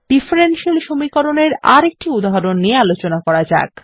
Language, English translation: Bengali, Let us now learn how to write Derivatives and differential equations